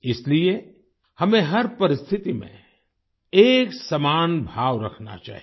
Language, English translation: Hindi, Therefore, we should maintain a uniform poise have in every situation